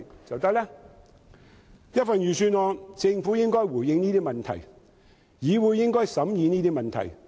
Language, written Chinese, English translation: Cantonese, 政府應在預算案內回應這些問題，而議會應審議這些問題。, The Government should respond to these questions in the Budget and the legislative should consider these questions